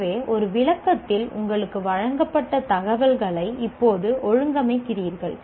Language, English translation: Tamil, So, you are organizing the information now that is presented to you in a description